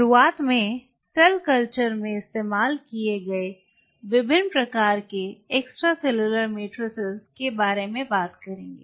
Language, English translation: Hindi, To start off with we will be talking about different types of extracellular matrix used in cell culture